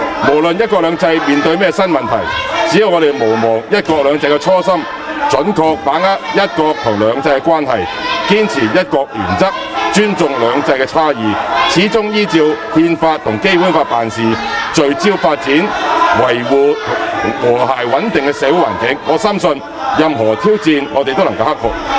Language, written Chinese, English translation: Cantonese, 無論"一國兩制"面對甚麼新問題，只要我們毋忘"一國兩制"的初心，準確把握"一國"和"兩制"的關係，堅持"一國"原則，尊重"兩制"差異，始終依照《憲法》和《基本法》辦事，聚焦發展、維護和諧穩定的社會環境，我深信，任何挑戰我們都能夠克服。, No matter what new problems faced by one country two systems we must not forget the original intention of one country two systems . We must understand the relationship between one country and two systems correctly uphold the principle of one country and respect the difference under two systems . We must act in accordance with the Constitution and the Basic Law through and through by focusing on the development and maintenance of harmony and stability in society